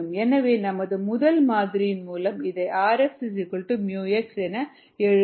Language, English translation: Tamil, so, going by our first model, this can be written as r x equals mu x